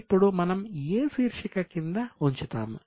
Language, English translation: Telugu, So, under which head we will put it as